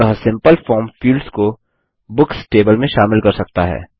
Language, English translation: Hindi, So a simple form can consist of the fields in the Books table